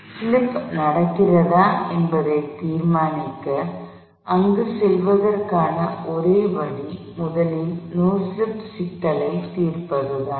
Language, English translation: Tamil, And in order to determine, whether slip happens, the only way to get there is to first solve the no slip problem